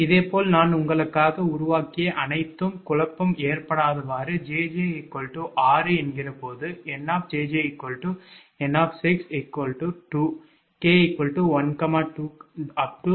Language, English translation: Tamil, similarly, everything i have made for you such that there would not be any confusion: when jj is equal to six, ah, then nj j is equal to n